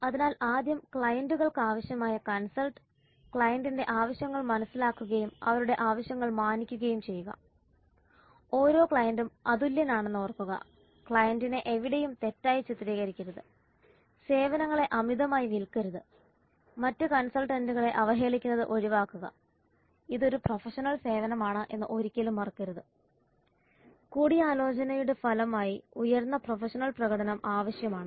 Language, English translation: Malayalam, So first the consultant regards the client's needs, understand the needs of the client and respects their needs remember that every client is unique don't meet representation the client in anywhere do not oversell the services refrain from denigrating other consultants never forget that it is a professional service and it is a high professional performance is required as part of consulting